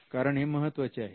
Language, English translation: Marathi, Because that is critical